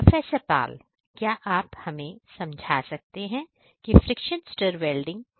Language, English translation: Hindi, So, Professor Pal would you please explain over here how this friction stir welding process works